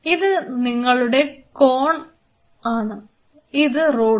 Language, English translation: Malayalam, So, this is your Cone and this is your Rod